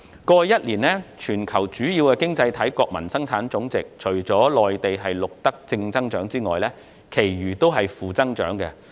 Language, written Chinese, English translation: Cantonese, 過去一年，觀乎全球主要經濟體的國民生產總值，除內地錄得正增長外，其餘均錄得負增長。, Among the major economies around the world only Mainland registered positive growth in GDP over the past year whereas others suffered negative growth